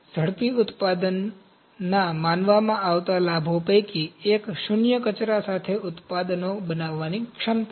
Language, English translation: Gujarati, One of the perceived benefits of rapid manufacturing is the potential to create products with zero waste